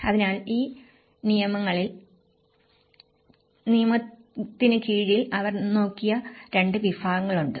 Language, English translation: Malayalam, So and under this law, there are 2 categories which they looked